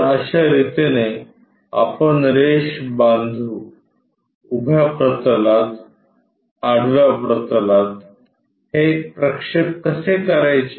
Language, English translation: Marathi, This is the way we construct for a line how to do these projections on the vertical plane, horizontal plane